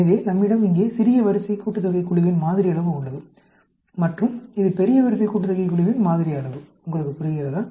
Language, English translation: Tamil, So, we have here, sample size of the group with the smaller rank sum; and, this is the sample size of the group with the larger rank sum; do you understand